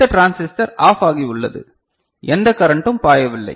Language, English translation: Tamil, And this transistor is OFF so, no current is flowing